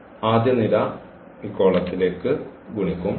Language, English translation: Malayalam, This row will be multiplied to this column